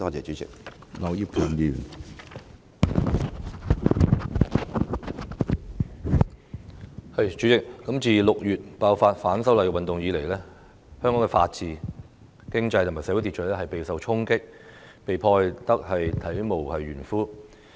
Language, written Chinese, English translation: Cantonese, 主席，自6月爆發反修例運動以來，香港的法治、經濟和社會秩序備受衝擊，並被破壞至體無完膚。, President since the eruption of the movement of opposition to the proposed legislative amendments in June Hong Kongs rule of law economy and social order have been hit hard and destroyed mercilessly